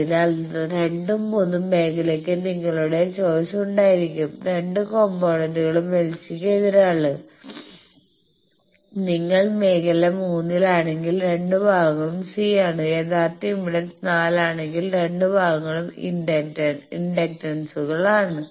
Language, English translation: Malayalam, So, first and second region they will have your choices both the components are opposite LC whereas, if you are in region 3 then both parts are C, if original impedance is 4 then both parts are inductances